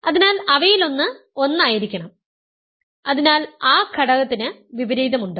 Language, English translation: Malayalam, So, one of them must be 1, so that element has an inverse